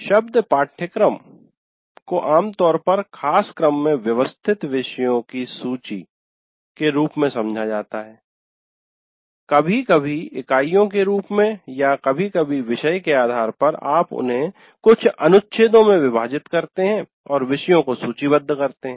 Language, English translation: Hindi, Here the moment you utter the word syllabus, what you have is a list of topics organized in some fashion, sometimes as units or sometimes as based on the topic, you divide them into some paragraphs and list the topics